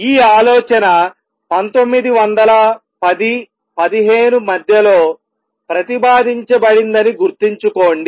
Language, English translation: Telugu, Keep in mind that the idea was proposed way back in around mid nineteen a tenths